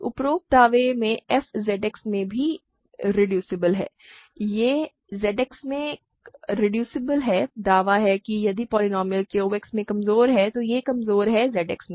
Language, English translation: Hindi, By the above claim f is also reducible in Z X, right, it is reducible in Z X claim is if a polynomial is reducible in Q X, then it is reducible in Z X